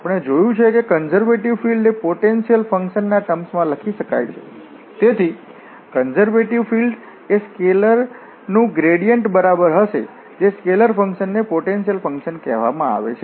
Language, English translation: Gujarati, So, now, we will come to the test of the conservative field we have seen that a conservative field can be written in terms of a potential function, so, that the conservative field will equal to the gradient of that scalar which is called the potential function